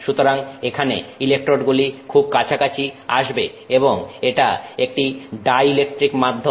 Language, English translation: Bengali, So, here the electrodes will come extremely close to each other and this is a dielectric medium